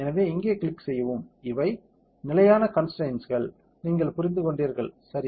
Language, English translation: Tamil, So, just click here and here, these are the fixed constraints; you understood, right